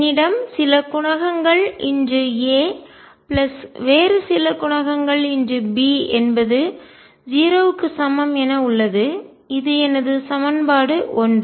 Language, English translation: Tamil, I have some coefficients times a plus some other coefficient times B is equal to 0; that is my equation 1